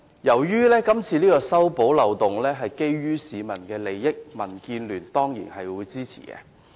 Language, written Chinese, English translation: Cantonese, 由於是次修補漏洞關乎市民的利益，民建聯當然會支持。, Since plugging this loophole is in the interest of the public DAB will surely support it